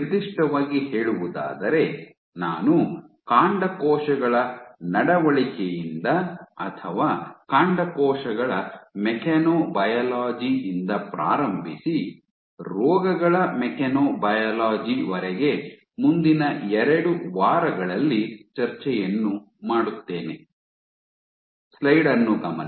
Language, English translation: Kannada, Specifically, I will start with behavior of stem cells or mechanobiology of stem cells and go on to mechanobiology of diseases over the next 2 weeks